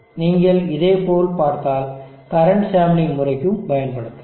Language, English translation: Tamil, Now if you look at similar times can be used for the current sampling method also